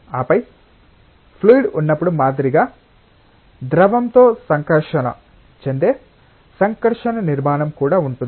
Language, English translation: Telugu, And then like when there is a fluid there is also an interacting structure that is interacting with the fluid